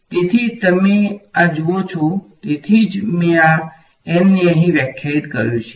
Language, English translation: Gujarati, So, you see this that is why I defined this n over here